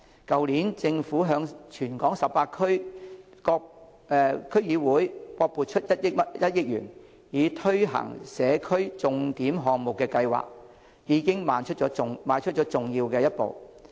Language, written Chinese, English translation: Cantonese, 去年政府向全港18區區議會各撥款1億元，以推行社區重點項目的計劃，已邁出了重要一步。, Last year the Government took an important step to allocate 100 million for each of the 18 District Councils to implement signature projects in the community